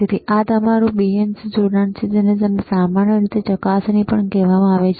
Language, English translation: Gujarati, So, this is your BNC connector is called BNC connector, it is also called probe in general,